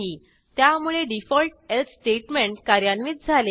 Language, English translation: Marathi, So, the default else statement is executed